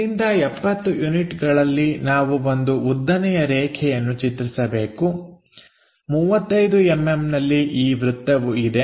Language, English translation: Kannada, So, from here at 70 units we have to construct a vertical line at 35 mm we have this circle